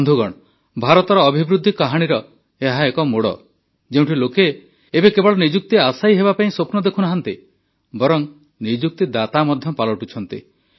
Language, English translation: Odia, Friends, this is the turning point of India's growth story, where people are now not only dreaming of becoming job seekers but also becoming job creators